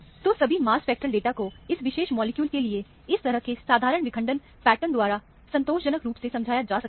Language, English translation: Hindi, So, all the mass spectral data can be satisfactorily explained by a simple fragmentation pattern of this kind, for this particular molecule